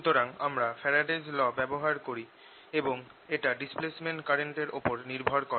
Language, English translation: Bengali, so we use this source, faraday's law, and this was based on displacement current